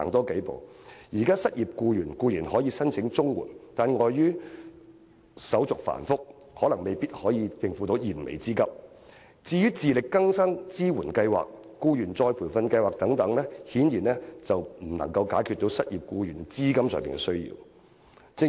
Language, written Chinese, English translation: Cantonese, 現時失業僱員固然可以申請綜援，但礙於申請手續繁複，綜援未必能應付他們的燃眉之急，至於自力更生支援計劃、僱員再培訓計劃等，顯然未能解決失業僱員經濟上的需要。, Unemployed workers can apply for CSSA but owing to the complicated application procedures CSSA may not be able to meet their urgent needs . As regards the Support for Self - reliance Scheme Employees Retraining Scheme and so on they obviously cannot meet the financial needs of unemployed workers